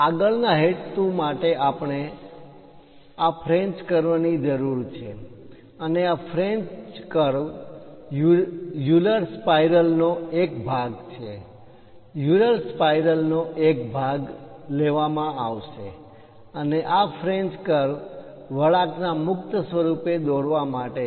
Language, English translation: Gujarati, Further purpose we require this French curves and this French curves are segments made from Euler spirals; part of the Euler spiral will be taken, and this French curve will be made and meant for drawing free form of curves